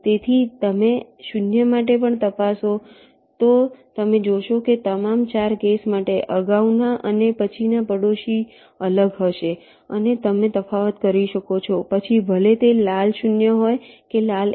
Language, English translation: Gujarati, so you check for zeros also, you will find that for all the four cases the previous and the next neighbours will be distinct and you can make a distinction whether they are red, zero or red one